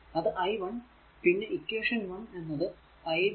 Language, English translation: Malayalam, And we know from the equation 1 i 1 is equal to i 2 plus i 3